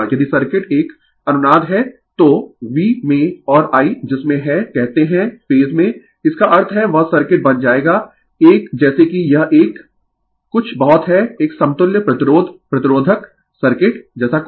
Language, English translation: Hindi, If circuit is a resonance so, in V and I inwhat you call in phase; that means, that circuit will become a as you it is a something like an equivalent your resist resistive circuit right